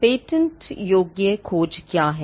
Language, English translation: Hindi, What is a patentability search